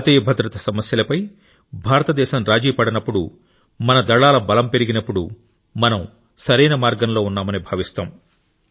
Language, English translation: Telugu, When India does not compromise on the issues of national security, when the strength of our armed forces increases, we feel that yes, we are on the right path